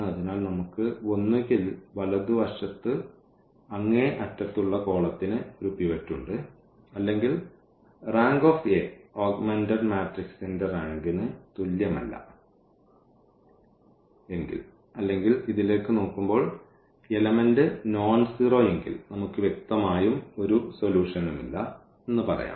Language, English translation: Malayalam, So, we have either the rightmost pivot has rightmost column has a pivot or we call rank a is not equal to the rank of the augmented matrix or we call simply by looking at this that if this is nonzero then we have a case of no solution, clear